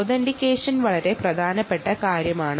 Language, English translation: Malayalam, authentication is a very important thing